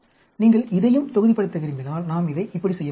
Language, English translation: Tamil, If you want to block it also, then we can do it like this